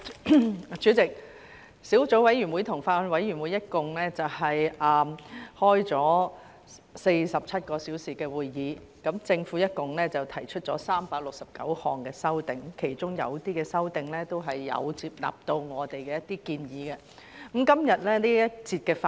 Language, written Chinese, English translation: Cantonese, 代理主席，小組委員會及法案委員會一共開了47小時會議，政府一共提出了369項修正案，其中有些修正案，都有接納我們的一些建議。, Deputy Chairman the Subcommittee and the Bills Committee have met for a total of 47 hours and the Government has proposed a total of 369 amendments in which some of our proposals have been accepted